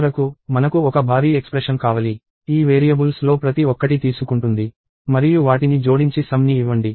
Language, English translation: Telugu, And finally, I need a huge expression, which takes each of these variables; and add them up and give sum